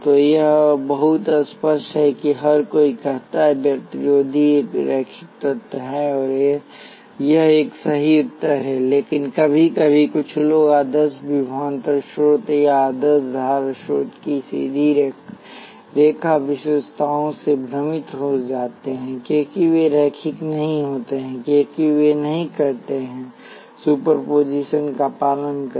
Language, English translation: Hindi, So, it is pretty obvious everybody says that resistor is a linear element and that is a correct answer, but sometimes some peoples get confused by straight line characteristics of an ideal voltage source or an ideal current source they are not linear, because they do not obey superposition